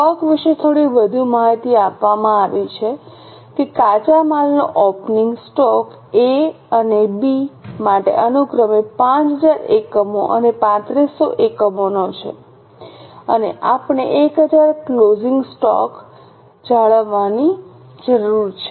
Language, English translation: Gujarati, Little more information is given about stock that the opening stock of raw material is 5,000 units and 3,500 units respectively for A and B and we need to maintain closing stock of 1000